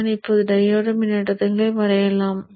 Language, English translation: Tamil, So let me now go about drawing the diode currents